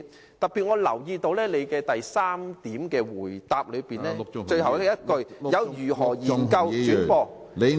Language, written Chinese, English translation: Cantonese, 我特別留意到，主體答覆第三部分的最後一句，如何研究轉播......, I notice in particular the last sentence in part 3 of the main reply . It is about exploring the matter of broadcasting